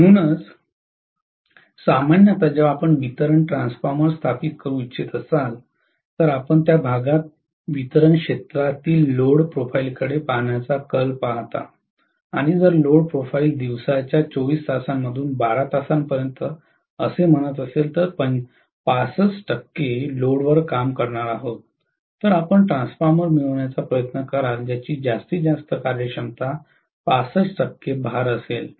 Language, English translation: Marathi, So, that is the reason why you generally when you want to install a distribution transformer you tend to look at the load profile in that area in the distribution area and if the load profile says out of 24 hours in a day for 12 hours it is going to work at 65 percent load, then you would try to get a transformer which will have maximum efficiency at 65 percent load